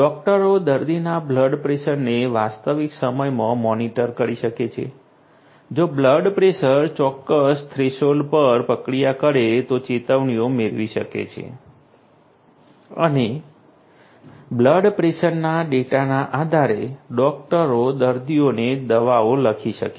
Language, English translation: Gujarati, Doctors can monitor the patient’s blood pressure in real time; can get alerts if the blood pressure process a particular threshold and doctors can depending on the blood pressure data, the doctors can prescribe medicines to the patients